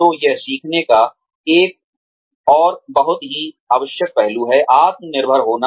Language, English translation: Hindi, So, that is another very essential aspect of learning, to be self reliant